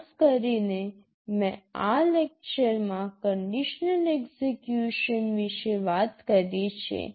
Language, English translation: Gujarati, In particular I have talked about the conditional execution in this lecture